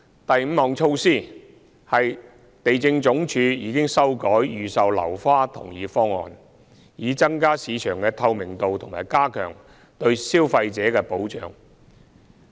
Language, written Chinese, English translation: Cantonese, 第五項措施，是地政總署已修改預售樓花同意方案，以增加市場的透明度和加強對消費者的保障。, The fifth initiative is that the Lands Department has amended the Consent Scheme so as to improve market transparency and enhance consumer protection